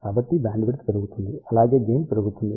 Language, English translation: Telugu, So, bandwidth increase, as well as gain increases